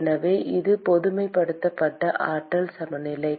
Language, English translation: Tamil, so this is the generalized energy balance